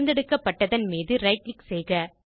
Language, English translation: Tamil, Right click on the selection